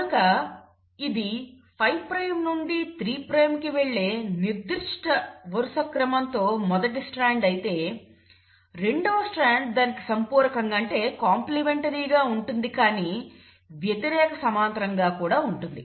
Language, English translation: Telugu, So if this is the first strand with a certain sequence going 5 prime to 3 prime, the second strand will be complimentary to it but will also be antiparallel